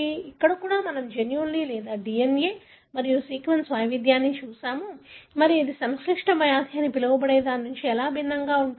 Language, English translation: Telugu, There too, we looked at genes or DNA and sequence variation there and how it is different from the so called complex disease